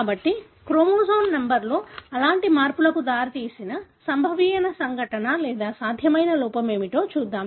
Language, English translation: Telugu, So, let us look into what is the possible event or what is the possible error that led to such changes in the chromosome number